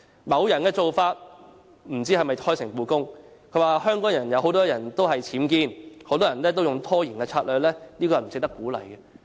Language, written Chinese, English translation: Cantonese, 某人的做法不知道是否開誠布公，他說香港很多僭建，很多人都用拖延策略，這是不值得鼓勵的。, I am not sure if that person has been open and frank as he said there were a large number of UBWs in Hong Kong and many people adopted a delaying tactic which was not worth encouraging